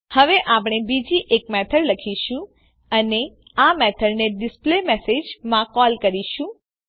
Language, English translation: Gujarati, Now we will write another method and call this methd in displayMessage